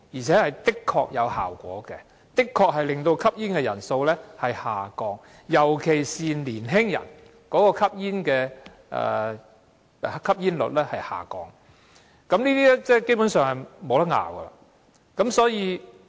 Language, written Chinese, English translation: Cantonese, 這做法的確有果效，可令吸煙人數下降，尤其是降低年青人的吸煙率，這點基本上無容爭拗。, This practice is really effective in lowering the number of smokers particularly in lowering the smoking prevalence among young people . This is basically indisputable